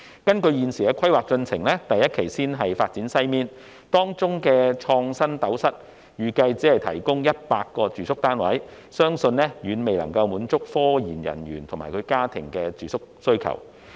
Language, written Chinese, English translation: Cantonese, 根據現時的規劃，第一期會先發展西面，當中的"創新斗室"預計只提供約100個住宿單位，相信遠遠未能滿足科研人員及其家庭的住宿需求。, Under the current plan the first phase involves the development of the western part . The InnoCell in that part is expected to provide only about 100 residential units which I believe fall far short of the accommodation demand of research and development RD personnel and their families